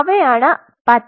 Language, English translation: Malayalam, So, those are the green